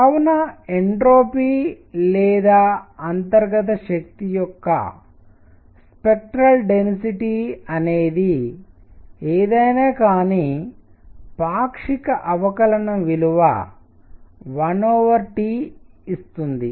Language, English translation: Telugu, So, even the partial whatever the spectral density of the entropy is one of the internal energy is there partial derivative gives you 1 over T